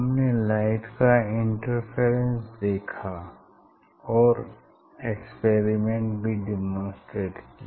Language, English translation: Hindi, we have seen the interference of light and we have demonstrated the experiment also